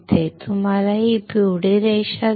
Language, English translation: Marathi, You see this yellow line